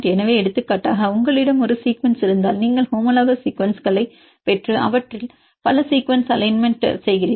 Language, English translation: Tamil, So, for example, if you have one sequence, you get homologous sequences and do their multiple sequence alignment and from that you can see which residues are highly conserved